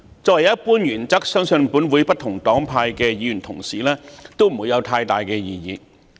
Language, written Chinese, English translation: Cantonese, 作為一般原則，相信本會不同黨派議員對此不會有太大異議。, As a general principle I think Members from different political parties in this Council should not have much disagreement on this